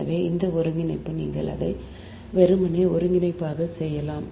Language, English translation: Tamil, so this integration, you can do it a simply integration, right